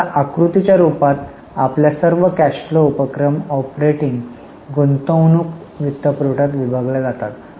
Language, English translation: Marathi, So now in the form of figure, all the cash flow activities are divided into operating, investing, financing